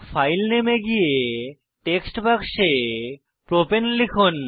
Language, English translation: Bengali, Go to the File Name and type Propane in the text box